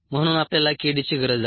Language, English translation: Marathi, therefore we need k d